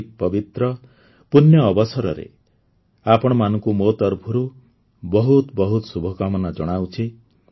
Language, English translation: Odia, My best wishes to all of you on this auspicious occasion